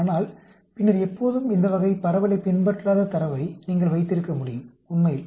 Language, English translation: Tamil, But then, you can always have data which does not follow this type of distribution, actually